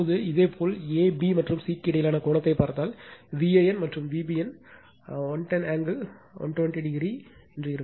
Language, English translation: Tamil, Now, if you see the if you see the angle between a, b, and c, so angle between V a n and V b n 110 angle 120 degree, this angle is 120 degree right